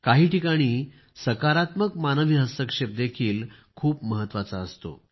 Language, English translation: Marathi, However, in some cases, positive human interference is also very important